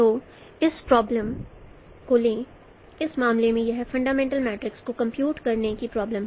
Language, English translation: Hindi, So take this problem here in this case it is a problem of simply computing the fundamental matrix